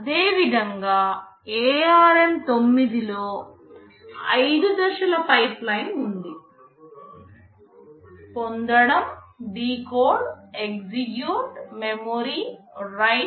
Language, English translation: Telugu, Similarly ARM9 has a 5 stage pipeline, fetch, decode, execute, memory, write